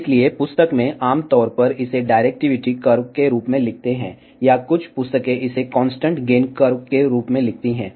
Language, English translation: Hindi, So, in the book, generally that write this as directivity curve or some books write this as constant gain curves